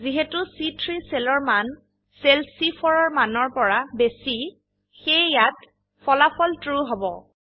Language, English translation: Assamese, Since the value in cell C3 is greater than the value in cell C4, the result we get is TRUE